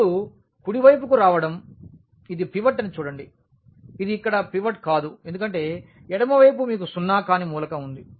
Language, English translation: Telugu, Now, coming to the right one this is pivot see this is not the pivot here because the left you have a non zero element